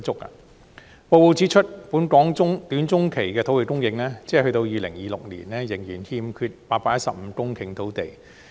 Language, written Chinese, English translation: Cantonese, 報告指出，本港短中期的土地供應，即到2026年仍然欠缺815公頃土地。, The report points out that in the short - to - meidum term there will be a shortfall of 815 hectares until 2026